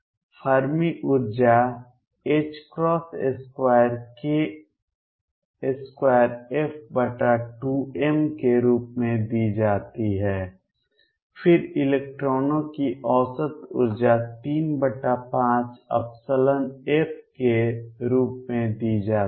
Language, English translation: Hindi, Fermi energy is given as h cross square k f square over 2 m, then average energy of electrons is given as 3 fifths epsilon f